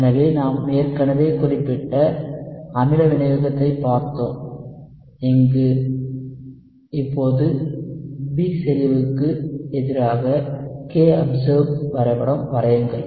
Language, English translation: Tamil, So we have already looked at specific acid catalysis, here now we are plotting kobserved versus B